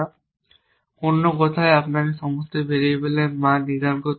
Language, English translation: Bengali, So, in other words you do not have to assign values to all variables